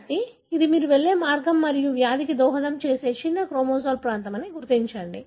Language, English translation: Telugu, So, this is the way you go about and identify a small chromosomal region that could possibly be contributing to the disease